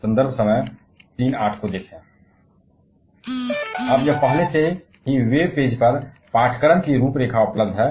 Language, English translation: Hindi, Now, it is already available the course outline on the course web page